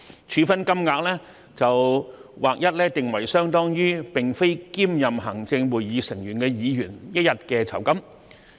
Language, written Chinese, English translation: Cantonese, 處分金額則劃一定為相當於並非兼任行政會議成員的議員一天的酬金。, The penalty will be fixed across the board at an amount equivalent to one days remuneration of a Member not serving on the Executive Council